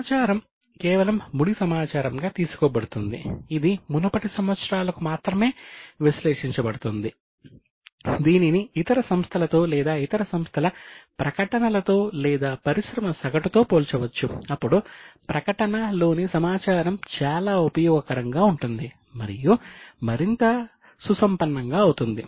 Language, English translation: Telugu, Not only for this year, for earlier years, it can be compared with the statements of other companies or other entities or of industry average, then the information in the statement becomes much more useful and enriched